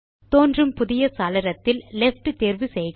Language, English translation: Tamil, In the new window, choose the Left option